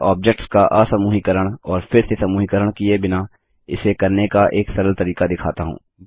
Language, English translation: Hindi, Let me demonstrate a simple way to do this without having to ungroup and regroup the objects